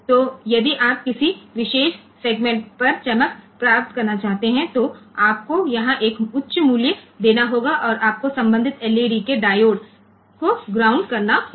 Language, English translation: Hindi, So, if you want to glow over a particular segment, you have to give a high value here and you have to ground the corresponding LED corresponding diode ok